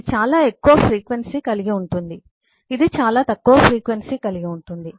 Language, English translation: Telugu, this will have a much lower frequency